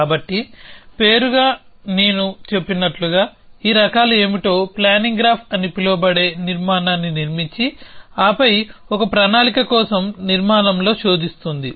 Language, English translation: Telugu, So, as a name, as I, as I said what these types is it construct a structure called a planning graph and then searches in the structure for a plan